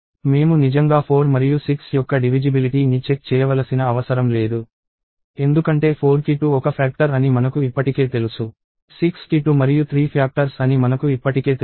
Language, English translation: Telugu, But, I really do not have to check for 4 and 6 divisibility, because if for 4 I already know 2 is a factor, for 6 I already know that 2 and 3 are factors